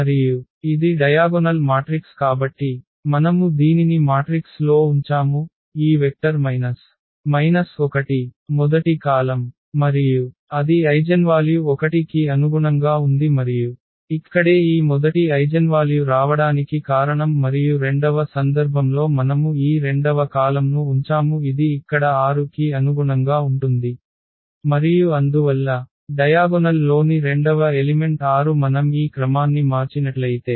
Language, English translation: Telugu, So, we have kept in our model matrix this, these vector minus 1 as the first column, and that was corresponding to the eigenvalue 1 and that is the reason here this first eigenvalue is coming and in the second case we have kept this second column which was corresponding to the 6 here and therefore, the second element in the diagonal is 6 here